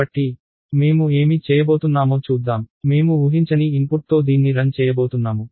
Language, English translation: Telugu, So, let us what I am going to do is, I am going to run it with an unexpected input